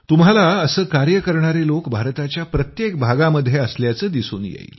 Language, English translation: Marathi, You will find such people in every part of India